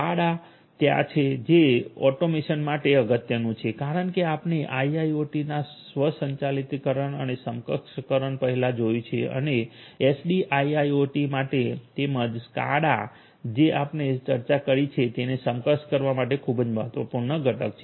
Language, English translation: Gujarati, The SCADA is there SCADA is important for automation as we have seen before automation and enable enablement of software defined sorry enablement of a IIoT and for SDIIoT as well SCADA is a very important component for enabling whatever we have discussed